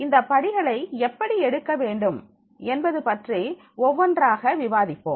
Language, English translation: Tamil, How these steps are to be taken that I will discuss one by one